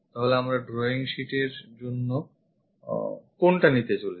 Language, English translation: Bengali, So, what we are going to pick is, this one for the drawing sheet